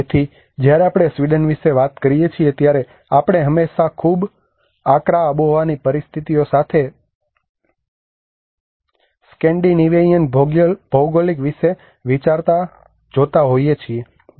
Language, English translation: Gujarati, So when we talk about Sweden we always see thinks about the Scandinavian geographies with very harsh climatic conditions